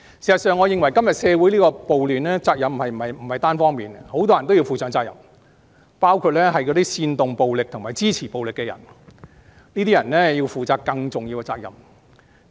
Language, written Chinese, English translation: Cantonese, 事實上，我認為今天社會出現的暴亂，責任不是單方面的，很多人均要負上責任，包括煽動暴力及支持暴力的人，這些人要負上更重大的責任。, In fact I think the riots that occur today in society should not be attributed to any single party for many people have to be held accountable including people provoking and supporting the use of violence and they should bear a significant share of the blame